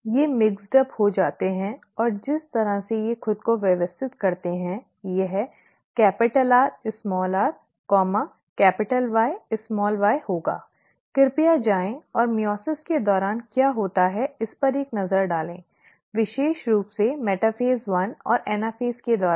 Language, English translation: Hindi, They get mixed up and by the way they arrange themselves, it would be capital R small r here, capital Y small y here, please go and take a look at what happens during meiosis, especially during metaphase one and anaphase